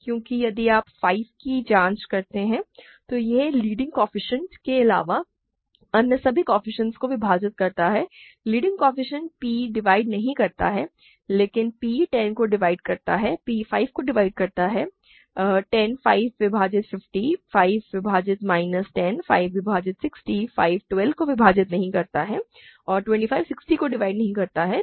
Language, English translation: Hindi, Because if you check 5 it divides all the coefficients other than the leading coefficients, leading coefficient, right, p does not divide 12, but p divides 10, p divides 5 divides 10, 5 divides 50, 5 divides minus 10, 5 divides 60, 5 does not divide 12 and 25 does not divide 60